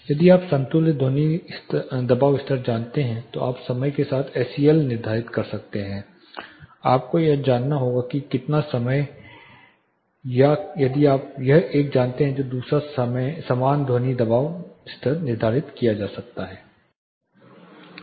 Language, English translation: Hindi, (Refer Slide Time: 13:58) If you know equivalent sound pressure level you can determine SEL along with the time you have to know how much time it is or if you know one the other equivalent sound pressure level can be determined